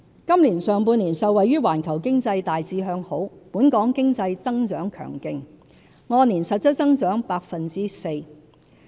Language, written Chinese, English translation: Cantonese, 今年上半年，受惠於環球經濟大致向好，本港經濟增長強勁，按年實質增長 4%。, In the first half of this year the Hong Kong economy grew strongly by 4 % in real terms over the previous year riding on the broadly positive global economic environment